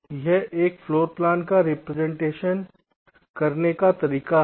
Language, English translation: Hindi, so this is one way of representing, ok, a floorplan